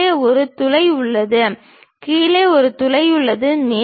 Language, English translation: Tamil, There is a hole at below, there is a hole at below